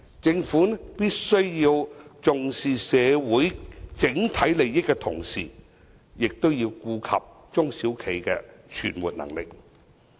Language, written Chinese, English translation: Cantonese, 政府必須在重視社會整體利益的同時，亦要顧及中小企的存活能力。, While looking after the overall interests of the community the Government must also consider the viability of SMEs